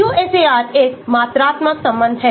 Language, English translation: Hindi, So, the QSAR is a quantitative relationship